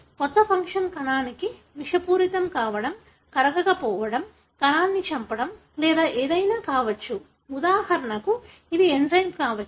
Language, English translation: Telugu, The new function could be anything from being toxic to the cell, becomes insoluble, kills the cell or it could be for example it’s an enzyme